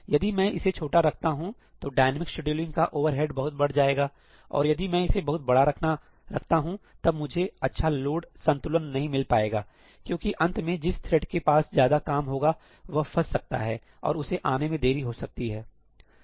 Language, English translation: Hindi, If I make it too small, then the overheads of dynamic scheduling are going to play a bigger role and if I make it too large, then I may not get good load balancing because at the end, the thread which has the longer work , it may get stuck and may come back late